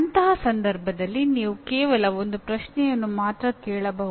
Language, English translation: Kannada, In that case, you can only ask one question